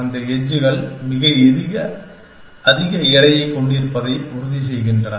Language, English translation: Tamil, And making sure those edges have very high weight